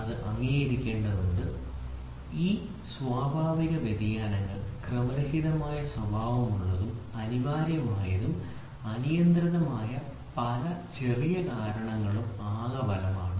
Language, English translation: Malayalam, So, this has to be accepted, these natural variations are random in nature and are the cumulative effect of many small essentially uncontrollable causes